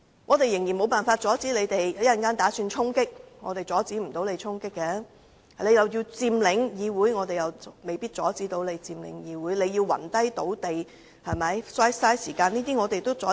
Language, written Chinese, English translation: Cantonese, 我們無法阻止議員的衝擊行動，而即使他們要佔領議會，我們也未必能夠阻止；他們要暈倒在地上浪費時間，我們同樣無法阻止。, There is no way for us to stop Members from storming the Legislative Council . Even if they want to occupy the Chamber we can do nothing about it . Likewise if they want to waste time by passing out on the floor we can possibly do nothing to stop them